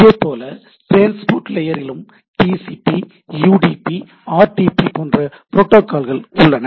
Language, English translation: Tamil, Similarly at the transport level we have TCP, UDP, RTP